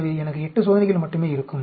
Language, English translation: Tamil, That means 8 experiments